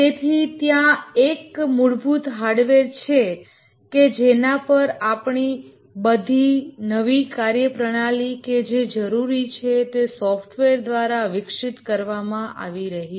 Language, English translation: Gujarati, So there is a basic hardware on which all our new functionalities that are required are developed by software